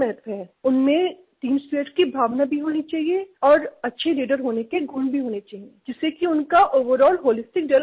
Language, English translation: Hindi, They should have a feeling of team spirit and the qualities of a good leader for their overall holistic development